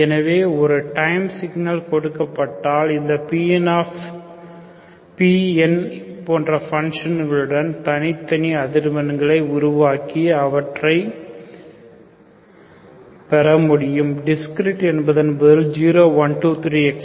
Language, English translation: Tamil, So given a time signal I can split, I can make it discrete frequencies with these functions P on and get the discretes call, discrete means 0, 1, 2, 3, onwards, okay